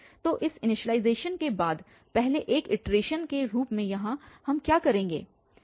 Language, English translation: Hindi, So, as a iteration first after this initialization here what we will do